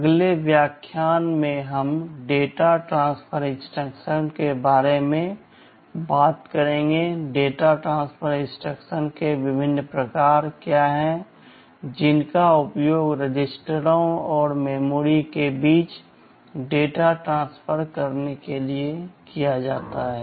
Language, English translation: Hindi, In the next lecture, we shall be talking about the data transfer instructions; what are the various kinds of data transfer instructions that can be used to transfer data between registers and memory